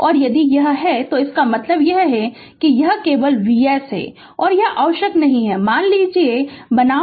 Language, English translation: Hindi, And if it is and that means, this is only V s this is not required suppose V s